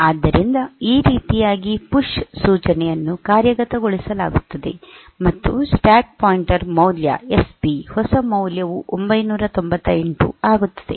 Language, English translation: Kannada, So, this way the PUSH instruction is executed, and the stack pointer value SP will new value will become 998